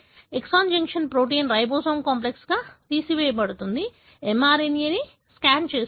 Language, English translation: Telugu, The exon junction protein are removed as the ribosome complex is, scanning the mRNA